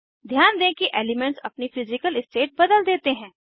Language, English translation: Hindi, Notice that elements change their Physical state